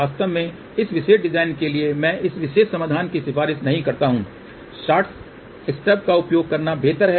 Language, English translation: Hindi, In fact, for this particular design I do not recommend this particular solution it is better to use shorted stub